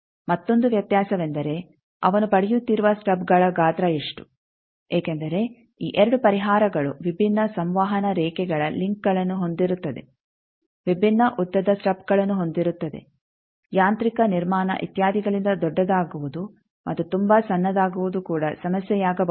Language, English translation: Kannada, Another distinction point is what is the size of the stubs etcetera he is getting because these 2 solution will have different links of transmission lines different length of stubs now getting larger may be problematic getting very small also may be problematic because of mechanical construction etcetera